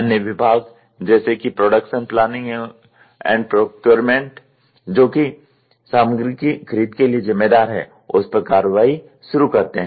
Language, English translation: Hindi, Other department such as those responsible for production planning and procurement of material then starts acting on it